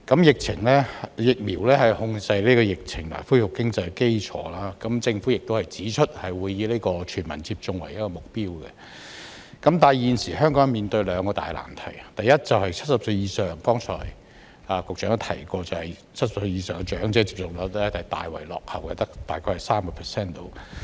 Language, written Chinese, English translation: Cantonese, 疫苗是控制疫情和恢復經濟的基礎，政府也指出，會以全民接種為目標，但現時香港面對兩個大難題，第一，正如局長剛才也提到 ，70 歲以上長者的接種率大為落後，只有大約 30%。, Vaccine is the basis for controlling the epidemic and restoring the economy . The Government has also pointed out that it will aim at universal vaccination but Hong Kong is now facing two major problems . First as the Secretary mentioned earlier the vaccination rate of elderly people aged 70 or above is lagging far behind with only about 30 %